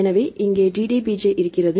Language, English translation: Tamil, So, here is the DDBJ right